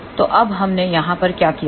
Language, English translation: Hindi, So, now what we have done over here